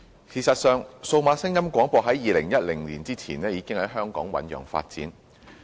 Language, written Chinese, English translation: Cantonese, 事實上，數碼廣播在2010年前已在香港醞釀發展。, In fact the development of DAB services in Hong Kong was already gaining momentum before 2010